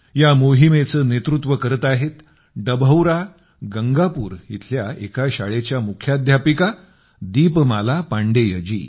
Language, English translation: Marathi, This campaign is being led by the principal of a school in Dabhaura Gangapur, Deepmala Pandey ji